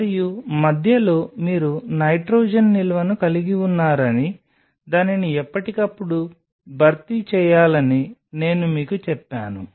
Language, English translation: Telugu, And in between I told you that you have a nitrogen storage which has to be replenished time to time